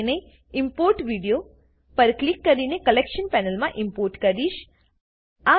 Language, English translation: Gujarati, So, I will import it into the Collection panel by clicking on Import Video